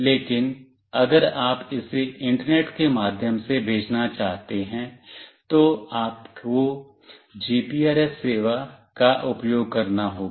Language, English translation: Hindi, But, if you want to send it through to internet, then you have to use the GPRS service